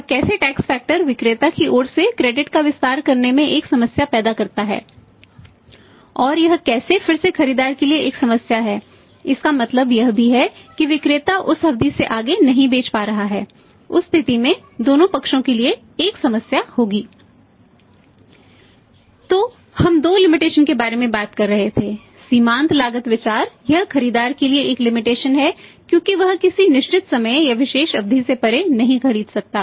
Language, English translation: Hindi, And how the tax factor creates a problem in extending the credit from the seller side and how it is again a problem to the buyer also means the seller is not able to sell beyond period in that case there will be a problem to both the sides